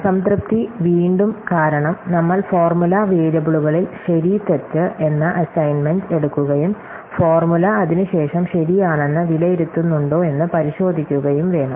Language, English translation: Malayalam, Satisfiability, again, because we just have to take the assignment of true, false to the formula variables and verify, whether the formula evaluates to true after that